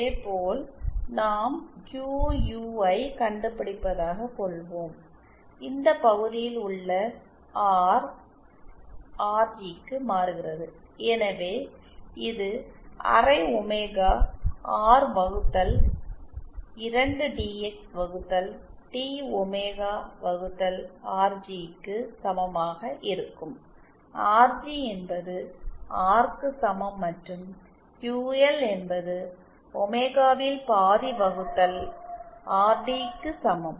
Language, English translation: Tamil, Similarly say is we to find out QU, then just this denominator R changes to RG, so this will be equal to half omega R upon 2 DX Upon D omega upon sorry RG omega equal to omega R and QL will be equal to half of omega R upon RT